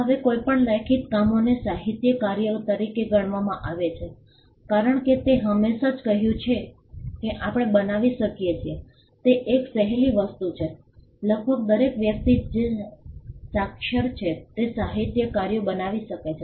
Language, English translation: Gujarati, Now, any written work is construed as a literary work and literary work as I just mentioned is the one of the easiest things that we can create, almost every person who is literate can create a literary work